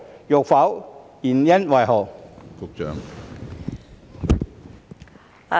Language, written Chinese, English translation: Cantonese, 若否，原因為何？, If not what are the reasons for that?